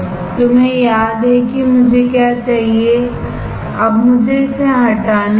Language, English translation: Hindi, You remember what I want, now let me remove it